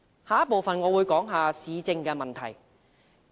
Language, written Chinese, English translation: Cantonese, 下一部分，我會談談市政的問題。, In the next part I will talk about municipal services